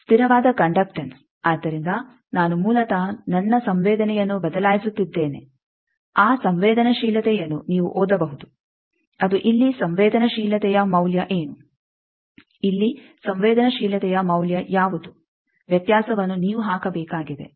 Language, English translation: Kannada, Constant conductance, so I am basically changing my susceptance, that susceptance you can read out that what is the susceptance value here, what is the susceptance value here, the difference is you need to put